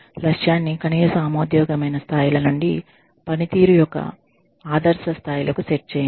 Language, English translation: Telugu, Set the target from, minimum acceptable levels, to ideal levels of performance